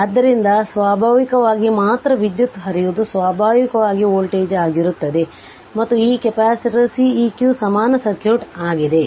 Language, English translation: Kannada, So, naturally ah only current flowing is i naturally voltage across this also will be v right and this capacitor is Ceq equivalent circuit